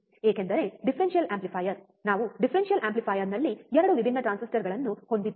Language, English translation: Kannada, Because the differential amplifier we have a 2 different transistors in the differential amplifier